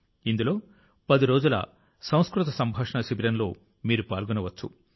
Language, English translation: Telugu, In this you can participate in a 10 day 'Sanskrit Conversation Camp'